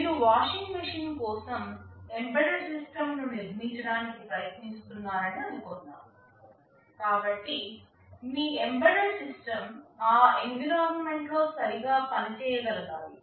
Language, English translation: Telugu, Suppose, you are trying to build an embedded system for a washing machine, so your embedded system should be able to function properly in that environment